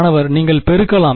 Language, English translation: Tamil, You can multiply